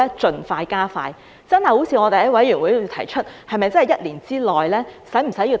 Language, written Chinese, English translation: Cantonese, 是否真的如委員會內所提出，要在一年之內才能做到？, Is it true that it will take a year to do so as suggested at the Bills Committee?